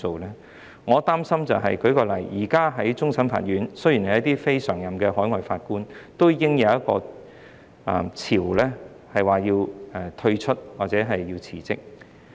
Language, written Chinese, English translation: Cantonese, 令我擔心的是，現時在終審法院，雖然是非常任的海外法官，已經出現一個退出或辭職潮。, What worries me is the recent wave of quitting and resignations in the Court of Final Appeal although it only involves non - permanent overseas judges